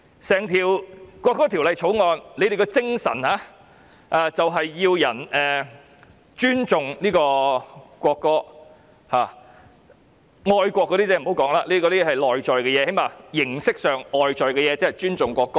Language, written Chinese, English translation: Cantonese, 整項《條例草案》的精神便是要市民尊重國歌，愛國那些不要說了，那是內在的東西，最少形式上、外表看起來尊重國歌。, The spirit of the entire Bill is to make people respect the national anthem not to mention patriotism which is something intrinsic at least formally and appear to respect the national anthem